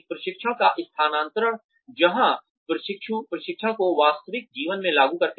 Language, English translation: Hindi, Transfer of training is, where trainees apply the training, to real life